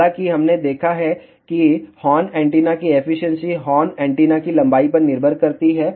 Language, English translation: Hindi, However, we have seen efficiency of the horn antenna depends upon the length of the horn antenna